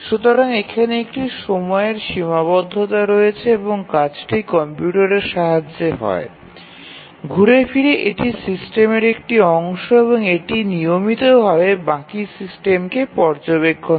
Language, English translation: Bengali, So, there is a time constraint and the action and also the computer is part of the system and it continuously monitors the system